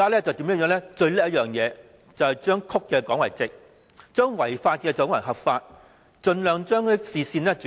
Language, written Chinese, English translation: Cantonese, 政府最了不起的便是把曲的說成直的，把違法的說成是合法，盡量把視線轉移。, The Government is good at portraying wrongs as rights and treating unlawful proposals as lawful . It is also an expert of diverting public attention